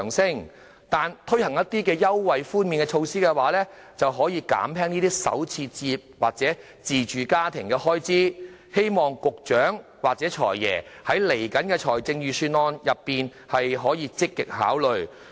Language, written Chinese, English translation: Cantonese, 相反，推行一些優惠或寬免措施，卻可減輕首次置業者或自住家庭的開支，希望局長或"財爺"在接下來的財政預算案積極考慮。, On the contrary the introduction of an allowance or concessionary measures can alleviate the burden of first - time or self - occupying home buyers . I hope the Secretary or the Financial Secretary will give this serious consideration in the upcoming Budget